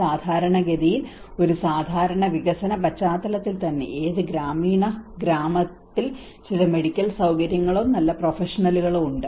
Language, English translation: Malayalam, Normally in a regular development context itself how many of the rural villages do have some medical facilities or a good professionals